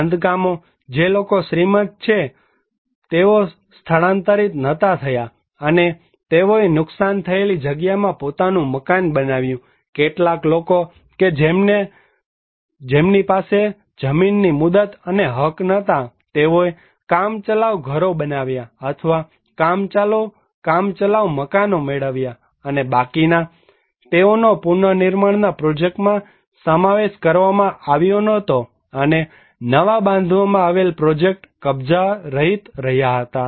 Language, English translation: Gujarati, Constructions; those who are rich they did not relocate better off and they build their own house in the damaged side, some people who did not have the land tenure rights, they constructed temporary houses or got a temporary houses and remaining there, they were not included into the reconstruction projects and the newly constructed projects remain unoccupied